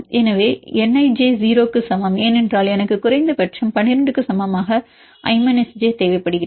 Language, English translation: Tamil, So, N ij equal to 0 because we need i minus j equal to at least 12